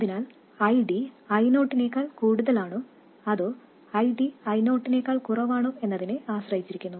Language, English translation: Malayalam, So, depending on whether ID is more than I 0 or ID is less than I 0